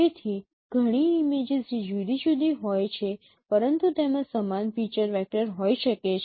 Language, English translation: Gujarati, So, many of the images which are different but they can have similar feature vectors